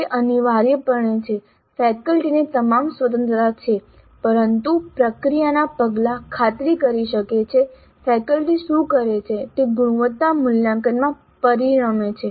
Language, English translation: Gujarati, It is essentially faculty has all the freedom but the process steps ensure that what the faculty does results in quality assessment